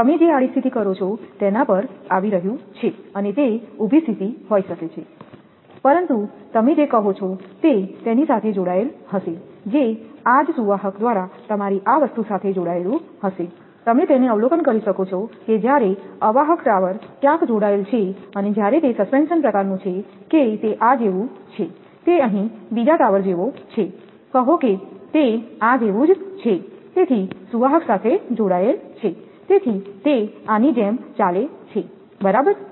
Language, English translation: Gujarati, But it will be connected to your what you call it will be connected to that your this thing by this same conductor, you can observe it that when insulator is going connected somewhere in the tower and when it is suspension type that it is like this, it is like the another tower is here say it is like this